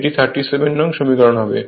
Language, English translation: Bengali, So, this is equation 35